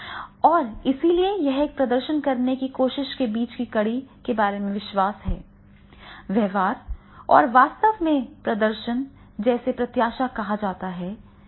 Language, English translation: Hindi, And therefore it is the belief about the link between trying to perform a behavior and actually performing well are called the expectancies are there